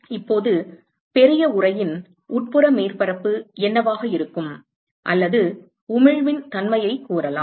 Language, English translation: Tamil, Now, what will be the nature of the inside surface of the large enclosure or let us say nature of emission let us say